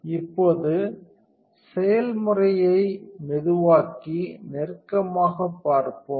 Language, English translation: Tamil, Now, let us slow the process down and take a closer look